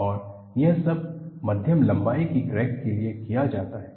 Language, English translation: Hindi, And, this is all done for medium length crack